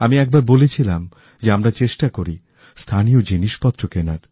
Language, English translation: Bengali, I had once said that we should try to buy local products